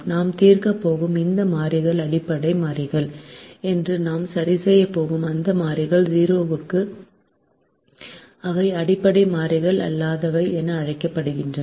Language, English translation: Tamil, those variables that we are going to solve are called basic variables, and those variables that we are going to fix to zero, we are not going to solve for these